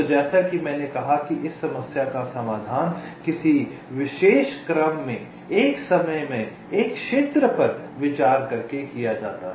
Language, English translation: Hindi, ok, so this problem, as i said, is solved by considering one region at a time, in some particular order